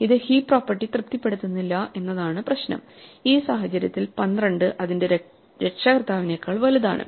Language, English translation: Malayalam, The problem is that this may not satisfy the heap property; in this case 12 is bigger than its parent 10